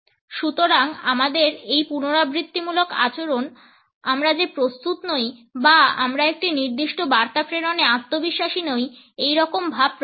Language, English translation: Bengali, So, these repetitive takes in our behaviour communicate that we are not prepared and we are not confident to pass on a particular message